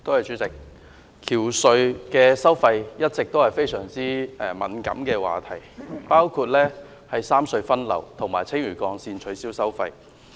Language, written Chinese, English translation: Cantonese, 主席，橋隧收費一直是非常敏感的話題，包括三隧分流和青嶼幹線取消收費。, President the tolls of bridges and tunnels are always an extremely sensitive topic which includes the traffic redistribution of the three tunnels and the abolition of Lantau Link toll